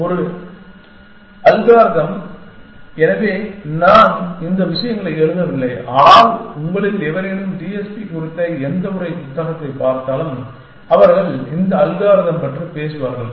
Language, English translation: Tamil, So, one algorithm, so I am not writing these things but, any of you look at any text book on TSP, they will talk about these algorithm